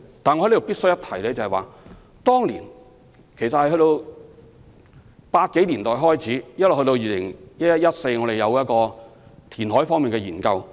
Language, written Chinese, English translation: Cantonese, 但我在此必須一提，由1980年代開始到2011年至2014年，我們也有進行填海方面的研究。, However I must highlight that since the 1980s and during the period from 2011 to 2014 a number of reclamation studies had been conducted